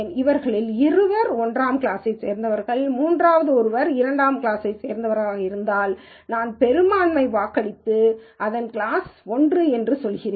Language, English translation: Tamil, If two of them belong to class 1 and the third one belongs to class 2, I do a majority vote and still say its class 1